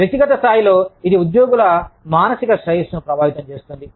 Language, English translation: Telugu, At the individual level, it affects the psychological well being, of the employees